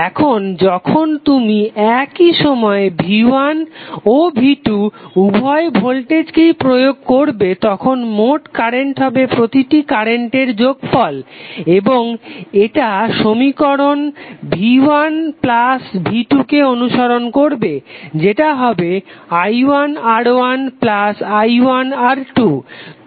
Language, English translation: Bengali, Now when you apply both V1 and V2 at the same time suppose if you are current should be sum of individual currents provided by individual voltages and it will follow this equation like V1 plus V2 would be equal to i1 R plus i2 R